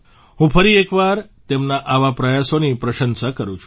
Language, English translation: Gujarati, I once again commend such efforts